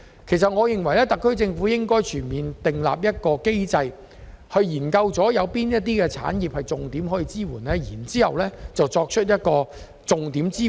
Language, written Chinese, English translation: Cantonese, 因此，我認為特區政府應訂立全面機制，研究哪些產業值得重點支援，然後提供支援。, Therefore I think the SAR Government should establish a comprehensive mechanism for identifying priority industries and then provide support for them